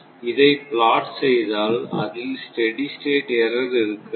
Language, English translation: Tamil, If you plot this, so, there will be no steady state error